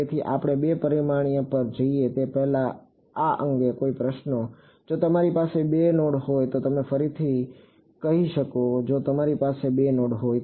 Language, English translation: Gujarati, So, any questions on this before we go to two dimensions, if you have two nodes can you say that again if you have 2 nodes